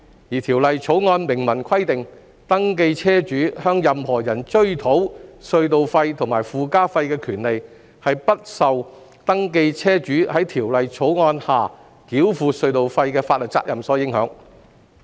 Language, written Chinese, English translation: Cantonese, 而《條例草案》明文規定，登記車主向任何人追討隧道費和附加費的權利不受登記車主在《條例草案》下繳付隧道費的法律責任所影響。, However there is an express provision in the Bill that the right of a registered vehicle owner to seek recovery of tolls and surcharges from any person is not prejudiced by the imposition of toll liability on the registered vehicle owners under the Bill